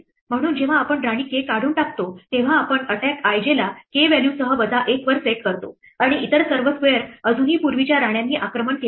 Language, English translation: Marathi, So, when we remove queen k we reset attack i j with value k to minus 1 and all other squares are still attacked by earlier queens